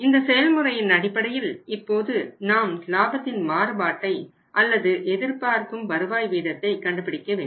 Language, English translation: Tamil, On the basis of this process let us see now calculate the change in the profit or you can call it as a rate of return that is the expected rate of it turn